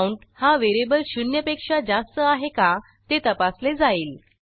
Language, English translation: Marathi, Then the condition whether the variable count is greater than zero, is checked